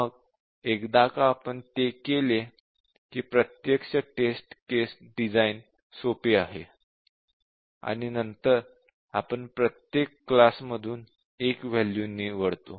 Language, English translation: Marathi, Then once we have done that the actual test case design is simple, we just pick one value from each one